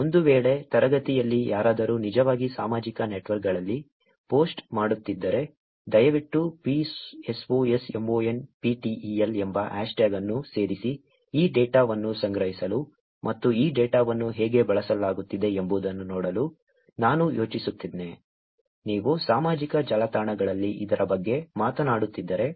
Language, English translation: Kannada, In case, if anybody in the class is actually posting on social networks, please add hashtag psosmonptel, I actually plan to collect this data and look at this data, how it is being used, if at all you are talking about it on social networks